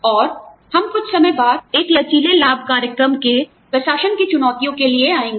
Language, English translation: Hindi, And, we will come to the challenges of administering, a flexible benefits program, a little later